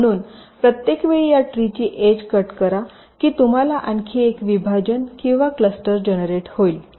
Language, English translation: Marathi, so every time you cut an edge in this tree you will get one more partition or cluster generated